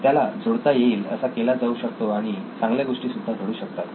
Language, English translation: Marathi, It could be made linkable and also good things can happen